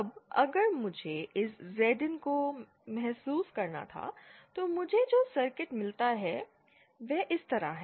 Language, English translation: Hindi, Now if I were to realise this Zin, then the kind of circuit that I get is like this